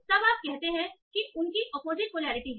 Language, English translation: Hindi, So then you say, okay, they have opposite polarity